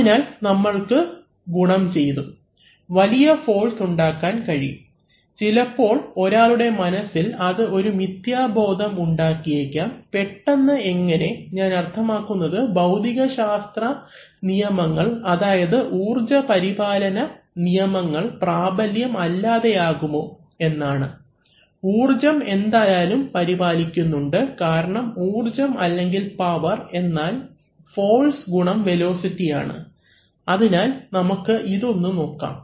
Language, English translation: Malayalam, So, we have, we can, we can multiply, we can create every large forces and that sometimes it might create an illusion in one's mind that, whether how suddenly without, I mean does it invalidate any law of physics is energy conserved, energy is indeed conserved because energy or power is force into velocity right, so we can look at this